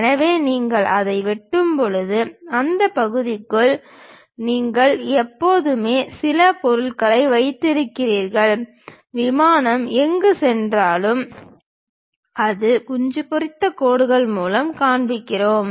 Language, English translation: Tamil, So, when you are slicing it, you always be having some material within those portions; wherever the plane is passing through that we will show it by hatched lines